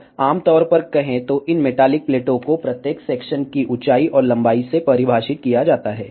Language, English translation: Hindi, Now, generally speaking these metallic plates are defined by the height and the length of each section ok